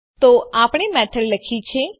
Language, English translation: Gujarati, So we have written a method